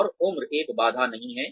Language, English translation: Hindi, And, age is not a barrier